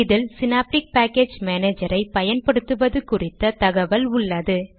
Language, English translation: Tamil, This dialogue box has information on how to use synaptic package manager